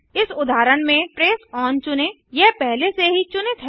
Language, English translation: Hindi, In this case let us select the trace on, its already on